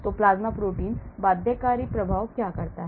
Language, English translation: Hindi, so what does plasma protein binding effect of that